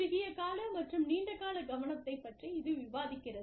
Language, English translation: Tamil, Short term versus long term focus